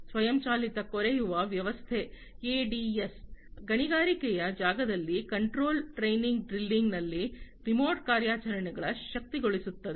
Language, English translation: Kannada, And the automated drilling system ADS, which enables in the remote enables in the remote operations, in the control draining drilling in the mining space